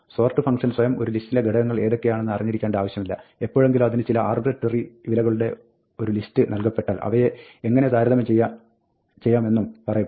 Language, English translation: Malayalam, The sort function itself does not need to know what the elements in a list are; whenever it is given a list of arbitrary values, it is also told how to compare them